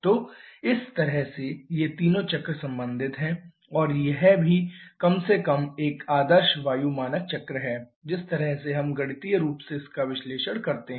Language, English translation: Hindi, So, this way these 3 cycles are related and also this is an air standard cycles at least the ideal one that is the way we mathematically analyze this